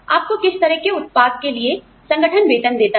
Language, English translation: Hindi, What kind of output, does the organization pay you for